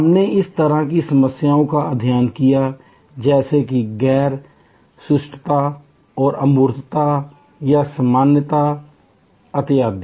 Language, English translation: Hindi, We studied the kind of problems that are raise, like non searchability or abstractness or generality and so on